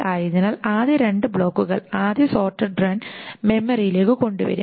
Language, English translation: Malayalam, So the first two blocks first two sorted runs will be brought into memory